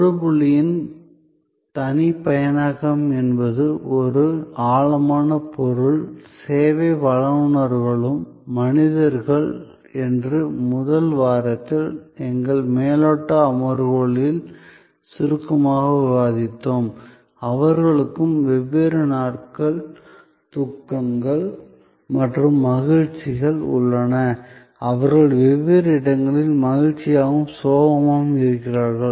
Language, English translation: Tamil, The personalization of the touch point is a deep subject, we discussed briefly in our overview sessions in the first week that service providers are also human beings, they also have different days of sorrows and happiness, they are glad and sad at different points